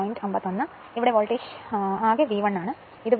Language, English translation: Malayalam, So, as if voltage here total is V 1, this is V 2